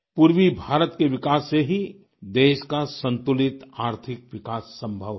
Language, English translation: Hindi, It is only the development of the eastern region that can lead to a balanced economic development of the country